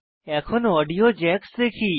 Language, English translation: Bengali, Now, lets look at the audio jacks